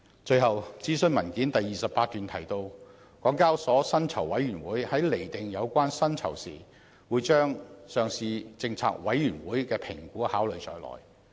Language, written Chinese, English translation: Cantonese, 最後，諮詢文件第28段提到，港交所薪酬委員會在釐定有關薪酬時，會把上市政策委員會的評估考慮在內。, Finally it is stated in paragraph 28 of the consultation paper that HKExs Remuneration Committee will take into account the assessment of the Listing Policy Committee when determining the overall compensation of the Listing Department and its senior executives